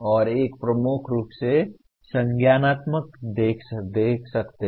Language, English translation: Hindi, And one can look at dominantly cognitive